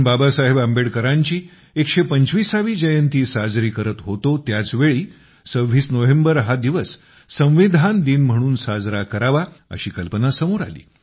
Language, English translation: Marathi, I remember… in the year 2015, when we were celebrating the 125th birth anniversary of BabasahebAmbedkar, a thought had struck the mind to observe the 26th of November as Constitution Day